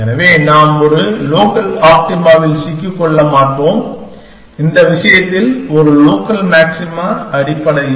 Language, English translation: Tamil, So, that we do not get stuck at a local optima, in this case a local maxima essentially